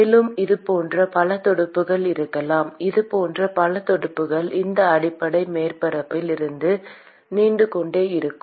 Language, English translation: Tamil, And it could have many such fins many such fins which are protruding out of these base surface